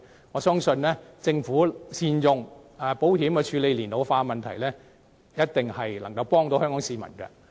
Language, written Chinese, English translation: Cantonese, 我相信政府善用保險處理社會老年化的問題，一定可以幫助香港市民。, I believe it will be helpful to Hong Kong people if the Government can tackle the ageing population by make good use of insurance